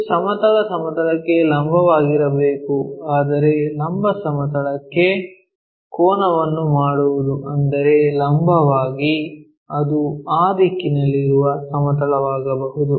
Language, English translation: Kannada, It is supposed to be perpendicular to horizontal plane, but inclined to vertical plane that means, perpendicular, it can be a plane in that direction